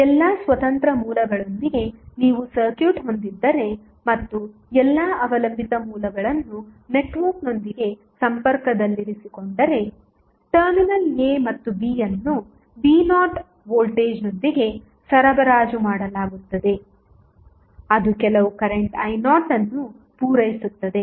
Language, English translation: Kannada, If you have circuit with all independent sources set equal to zero and the keeping all the dependent sources connected with the network the terminal a and b would be supplied with voltage v naught which will supply some current i naught